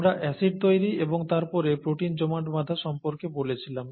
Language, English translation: Bengali, We said acid formation and then protein aggregation, okay